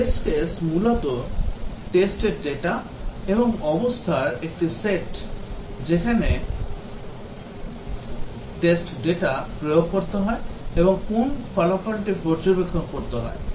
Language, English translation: Bengali, A test case is basically a set of test data and state at which the test data is to be applied and what result is to be observed